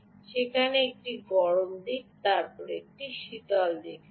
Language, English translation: Bengali, there is a hot side and then there is a cold side